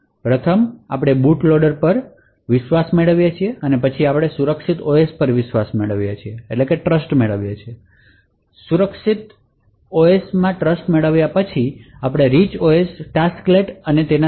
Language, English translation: Gujarati, First we obtain trust in the boot loader then we obtain trust in the secure OS and from the, the rich OS tasklet and so on